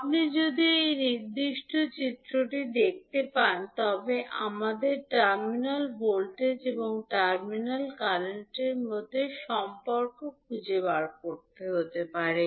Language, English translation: Bengali, If you see this particular figure, we need to find out the relationship between terminal voltage and terminal current